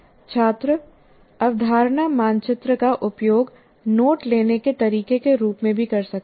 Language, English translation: Hindi, And students can also make use of concept map as a way of note taking